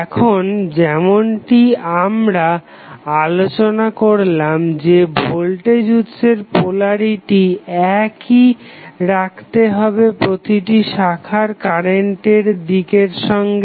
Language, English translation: Bengali, Now, as we discuss that polarity of voltage source should be identical with the direction of branch current in each position